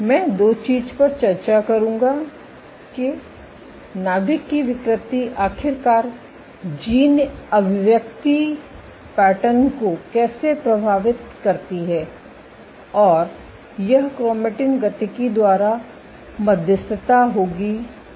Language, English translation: Hindi, I will discuss two things that how the nuclear deformations, eventually influence gene expression patterns and this will be mediated by chromatin dynamics